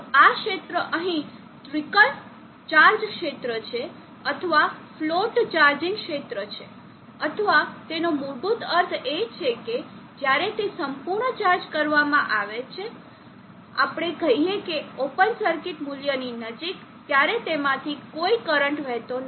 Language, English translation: Gujarati, So this region here is the trickle charge region or the float charging region or it is basically means is that when it is completely charged let us say near the open circuit value there is no current flowing through it the movement